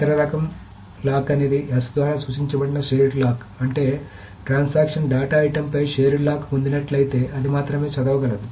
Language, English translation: Telugu, The other type of lock is the shared lock which is denoted by S, which means the transaction if it obtains a shared lock on the data item, it can only read